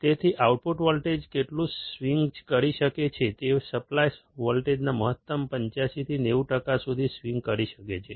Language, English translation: Gujarati, So, this is how much the output voltage can swing, it can swing for a maximum upto 85 to 90 percent of the supply voltage